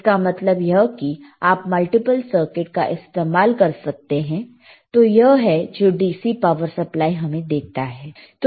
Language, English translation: Hindi, ; tThat means, that you can use multiple circuits, and this is what your DC power supply means